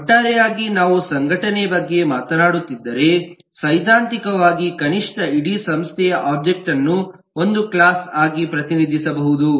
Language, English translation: Kannada, of course, it is possible that if we are talking about an organization as a whole, we could theoretically at least represent the whole organization object as one class